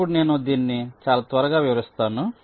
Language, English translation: Telugu, this i shall be illustrating very shortly